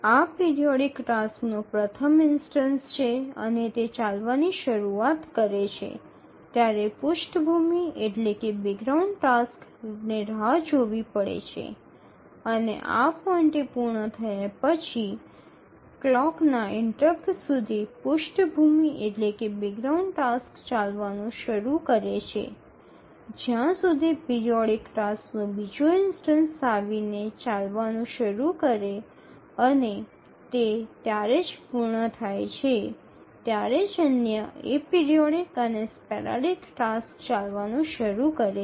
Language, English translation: Gujarati, So this is the first instance of the periodic task and as it started running, the background tasks are to wait and after its completion at this point the background tasks start running until the clock interrupt comes the periodic timer interrupt at which the second instance of the periodic task starts running and it completes only then the other a periodic and sporadic tasks start running